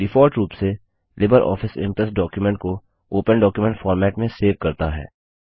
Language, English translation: Hindi, By default the LibreOffice Impress saves documents in the Open document format